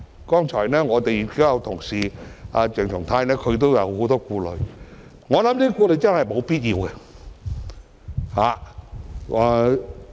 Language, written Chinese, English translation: Cantonese, 剛才我們同事鄭松泰議員都有很多顧慮，但我認為這些顧慮是沒有必要的。, Our colleague Dr CHENG Chung - tai also expressed a number of worries earlier but I do not think such worries are necessary